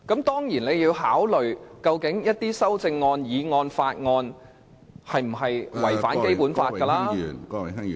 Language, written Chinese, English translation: Cantonese, 當然，你還要考慮有關的修正案、議案和法案有否違反《基本法》......, Of course you also need to consider if the relevant amendment motion or bill is in contravention of the Basic Law